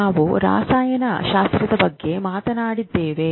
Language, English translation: Kannada, We have talked about the chemistry